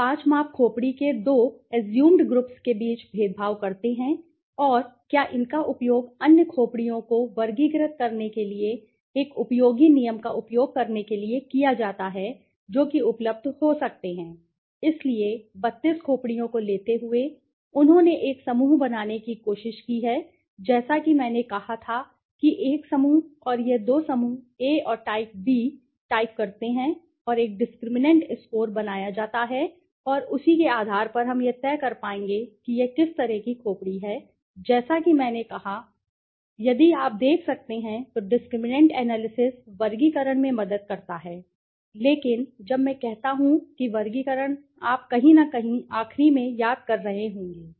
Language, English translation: Hindi, Do the five measurements discriminate between the two assumed groups of skulls and can they be used to produce a useful rule for classifying the other skulls right that might become available okay, so taking the 32 skulls right, they have try to form a as I said a group right and this two groups type A and type B and a discriminant score is to be built and on basis of that we will be able to decide whether it is which kind of skull okay so as I said as it is said if you can see, discriminant analysis helps in classification but when I say classification you might be remembering the in the last to last somewhere